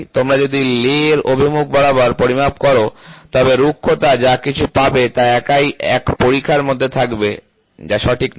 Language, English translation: Bengali, If you measure along the lay direction, the roughness whatever you get it will be within one trench alone that is not correct